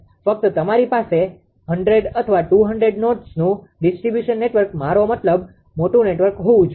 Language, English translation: Gujarati, Just a just you have a distribution network say ah say a 100 20 nodes distribution network I mean large distribution network